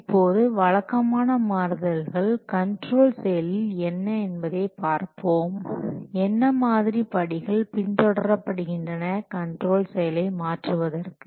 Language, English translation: Tamil, Now let's see what are the typical change control process, what steps are followed in the change control process